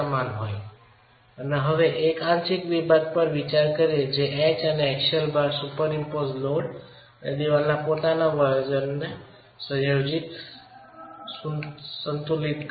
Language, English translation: Gujarati, That is what is equilibrating the combination of H and the axial load, the superimposed load and the self weight of the wall